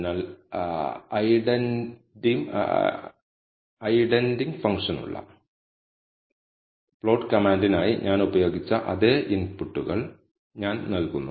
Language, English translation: Malayalam, So, I give the same inputs that I have used for the plot command for identify function